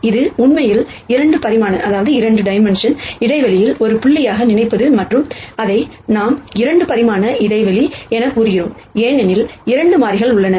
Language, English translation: Tamil, Another way to think about the same vector X is to think of this as actually a point in a 2 dimensional space and here we say, it is a 2 dimensional space because there are 2 variables